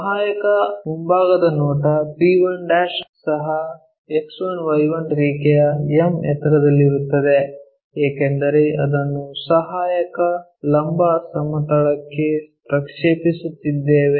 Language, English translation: Kannada, The auxiliary front view p1' will also be at a height m above the X1Y1 line, because the point p we are projecting it onto auxiliary vertical plane